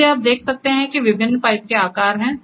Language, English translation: Hindi, So, there are if you can see there are different pipe sizes